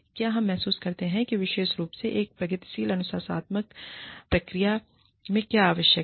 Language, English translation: Hindi, Do we realize, what is required, what is not required, especially in a progressive disciplinary procedure